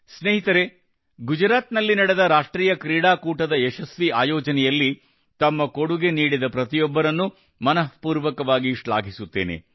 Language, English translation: Kannada, Friends, I would also like to express my heartfelt appreciation to all those people who contributed in the successful organization of the National Games held in Gujarat